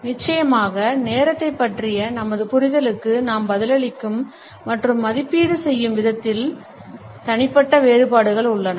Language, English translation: Tamil, There are of course, individual variations in the way we respond to our understanding of time and evaluate